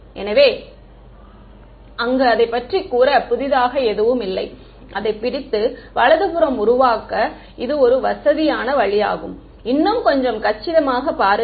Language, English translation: Tamil, So, there is nothing new about it, it is just a convenient way to hold that and make the right hand side look a little bit more compact